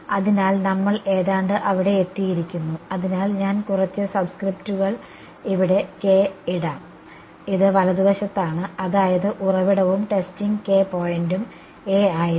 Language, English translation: Malayalam, So, we are almost there; so, let me put a few subscripts here this K over here, this is a on a right; that means, the source and the testing point were A and A